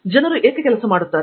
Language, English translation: Kannada, Why do people work